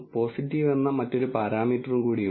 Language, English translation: Malayalam, There is also another parameter called positive